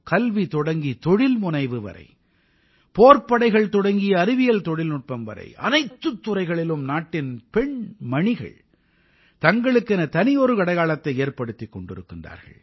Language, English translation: Tamil, Today, from education to entrepreneurship, armed forces to science and technology, the country's daughters are making a distinct mark everywhere